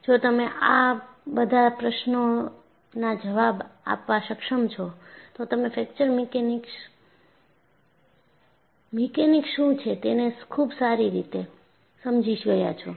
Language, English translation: Gujarati, If you are able to answer these questions, then you have reasonably understood what Fracture Mechanics is